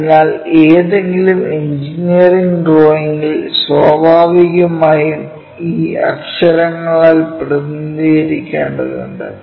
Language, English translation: Malayalam, So, when we are looking at that naturally in any engineering drawing we have to represent by that letters